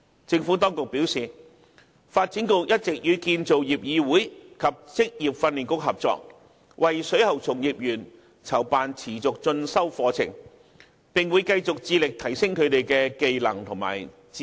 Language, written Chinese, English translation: Cantonese, 政府當局表示，發展局一直與建造業議會及職業訓練局合作，為水喉從業員籌辦持續進修課程，並會繼續致力提升他們的相關技能和知識。, The Administration advised that the Development Bureau had all along been working in collaboration with the Construction Industry Council and Vocational Training Council in organizing continuing professional development programmescourses for plumbing practitioners and the Administration would continue its efforts in enhancing their relevant skills and knowledge